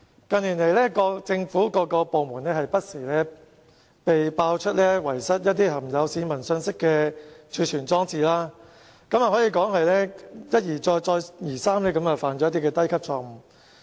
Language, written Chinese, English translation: Cantonese, 近年來，不同政府部門不時被揭露遺失含有市民個人資料的儲存裝置，可以說是一而再，再而三地犯下低級錯誤。, In recent years it has been revealed over and over again that some government departments have lost their storage devices containing the personal data of the public . One may say that these government departments have time and again made the same infantile error